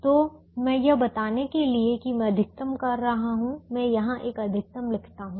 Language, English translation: Hindi, so i am just writing max here to show that i am maximizing now the function that we are maximizing